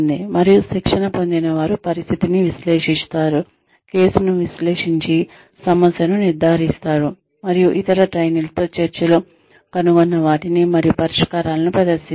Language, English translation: Telugu, And, the trainees analyze the situation, and analyze the case, diagnose the problem, and present the findings and solutions, in discussion with other trainees